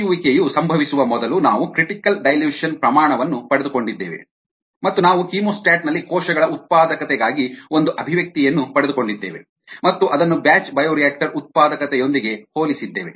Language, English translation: Kannada, we obtained the critical dilution rate, which is the maximum operable dilution rate, ah before washout occurs, ah to, and we also obtain an expression for cell productivity in a chemostat and compare it with the batch bio reactor productivity